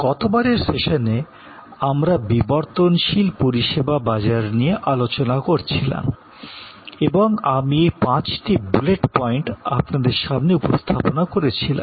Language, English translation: Bengali, In the last session, we were discussing about the evolving service markets and we presented these five bullet points to you